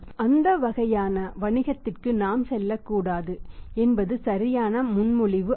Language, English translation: Tamil, It is not a right proposition we should not go for that kind of the business